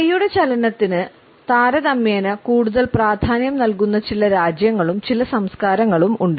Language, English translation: Malayalam, There are certain countries and certain cultures in which there is relatively more emphasis on the movement of hands